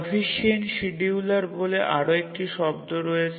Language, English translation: Bengali, We have another term as a proficient scheduler